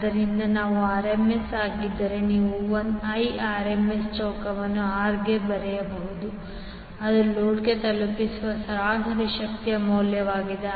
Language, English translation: Kannada, So, if I is RMS then you can write I RMS square into R that is the value of average power delivered to the load